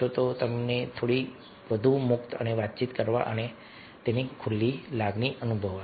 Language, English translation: Gujarati, that person will feel little more free and open to interact and talk